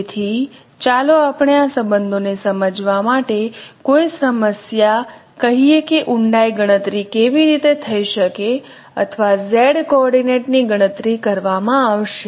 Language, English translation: Gujarati, So let us work out a problem to understand this relationships that how the depth could be computed or Z coordinate could be computed